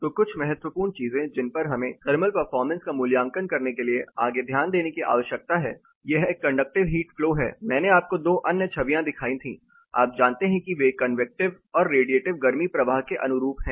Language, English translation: Hindi, So few important things that we need to further note in order to evaluate the thermal performance this is again a conductive heat flow, I showed you 2 other images, you know which correspond to convective as well as radiative heat flow